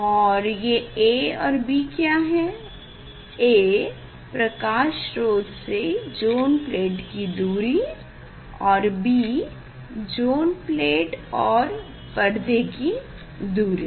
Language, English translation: Hindi, what is a and b, a is the source distance light source distance from the zone plate and b is the screen distance from the zone plate